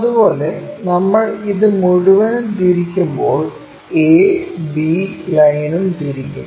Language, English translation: Malayalam, Similarly, when we are rotating this entire thing this a b line also gets rotated